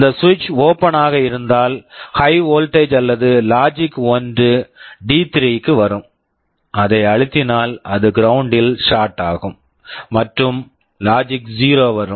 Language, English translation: Tamil, If this switch is open, high voltage or logic 1 will come to D3, if it is pressed it will be shorted to ground, and logic 0 will come